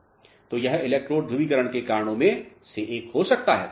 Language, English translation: Hindi, So, this could be one of the reasons of electrode polarization